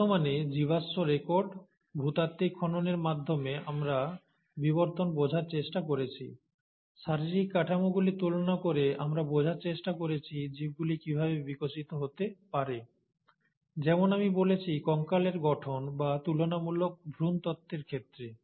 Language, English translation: Bengali, So in present day, we tried to understand evolution through fossil records, through geological excavations; we also tried to understand how the organisms would have evolved by comparing the anatomical structures, as I mentioned, in case of skeletal formation or comparative embryology